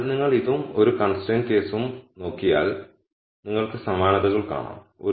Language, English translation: Malayalam, So, if you look at this and the one constraint case you will see the similarities